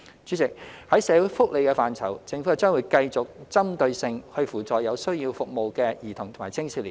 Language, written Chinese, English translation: Cantonese, 主席，在社會福利的範疇，政府將繼續針對性扶助有需要服務的兒童及青少年。, President in the area of social welfare the Government will continue to provide targeted assistance to children and young people in need of services